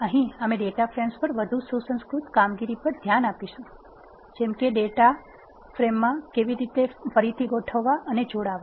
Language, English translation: Gujarati, Here we will look at more sophisticated operations on data frames, such as recasting and joining of data frames